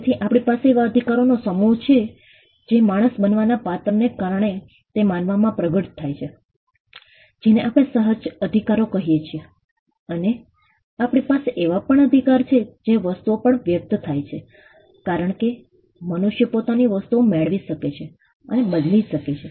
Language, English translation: Gujarati, So, we have a set of rights that manifest in a human being because of his character of being a human being those who are what we call inherent rights and we also have rights that express on things because human beings can possess own transfer things